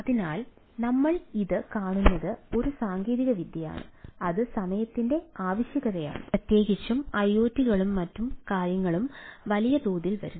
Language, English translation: Malayalam, so what we see it is a ah technology which is a need of the hour, and ah especially with iots and other things coming in a big way